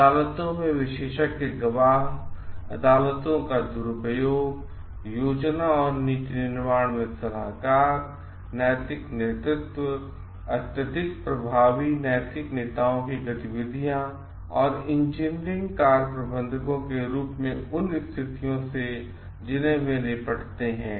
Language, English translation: Hindi, Expert witnesses in courts, abuses in courts, advisors in planning and policy making, moral leadership, habits of highly effective moral leaders, engineering functions as managers and the situations that they must tackle